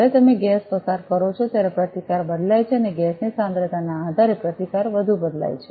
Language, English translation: Gujarati, When you pass gas then the resistance changes and depending on the concentration of the gas the resistance changes more